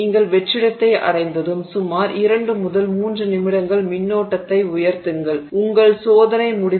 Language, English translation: Tamil, Once you have reached the vacuum you just raise the current in about 2 to 3 minutes your experiment is over